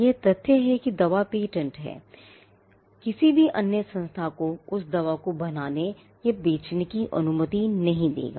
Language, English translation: Hindi, The fact that the drug is patented will not allow any other entity to manufacture or to sell that drug